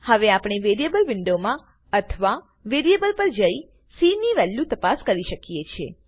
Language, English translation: Gujarati, We can now check it in the variable window or hover on the variable to check its value